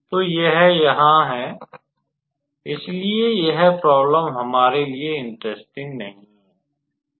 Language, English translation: Hindi, So, this here, so this problem will not be that much how to say interesting for us